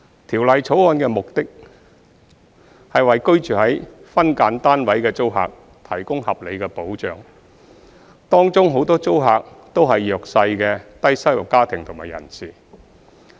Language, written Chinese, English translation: Cantonese, 《條例草案》的目標，是為居住於分間單位的租客提供合理的保障，當中很多租客均為弱勢的低收入家庭及人士。, The objective of the Bill is to provide reasonable protection to SDU tenants many of whom are vulnerable low - income families and individuals